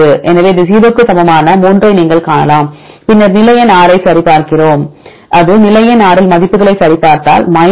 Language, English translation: Tamil, So, you can see 3 this equal to 0, then we check the position number 6 that is alanine right if the position number 6 we checked the values, if we get 0